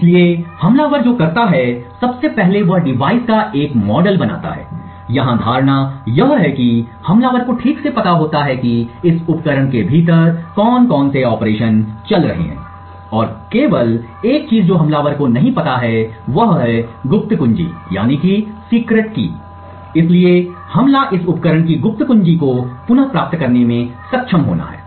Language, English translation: Hindi, So, what the attacker does is firstly he builds a model of the device, the assumption here is that the attacker knows exactly what operations are going on within this device and the only thing that the attacker does not know is the secret key, the whole attack therefore is to be able to retrieve the secret key of this device